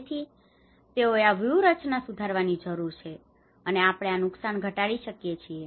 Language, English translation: Gujarati, So they need to improve these strategies how we can reduce these losses